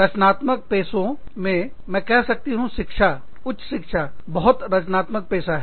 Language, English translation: Hindi, In creative professions, you know, i would say, education, higher education, is also a very creative profession